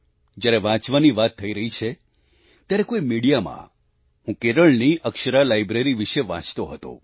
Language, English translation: Gujarati, Now that we are conversing about reading, then in some extension of media, I had read about the Akshara Library in Kerala